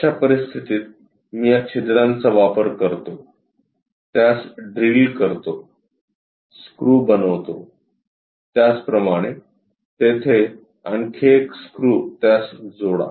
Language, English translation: Marathi, In that case, I use holes here, drill it, make screws; similarly, connect one more screw there and connect it